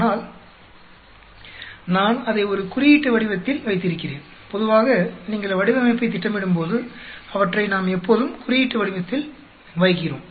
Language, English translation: Tamil, But I have put it in a coded form, normally when you plan the design, we always put them in a coded form